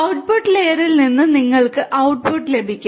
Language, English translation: Malayalam, You can get the output from the output layer